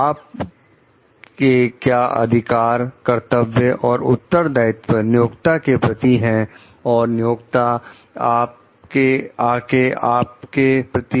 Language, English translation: Hindi, What are your rights, obligations, and responsibilities vis a` vis your employer